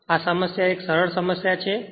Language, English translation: Gujarati, So, this problem is a simple problem